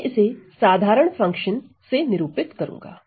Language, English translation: Hindi, We I am going to denote it by ordinary function right